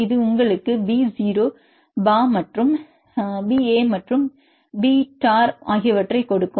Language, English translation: Tamil, This will give you this b 0, b a and then b tor